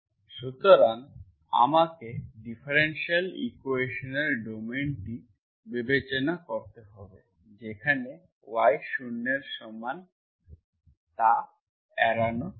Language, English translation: Bengali, So I have to consider the domain of the differential equation where y is equal to 0 is avoided